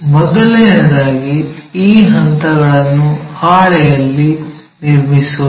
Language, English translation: Kannada, First of all let us construct these steps on our sheet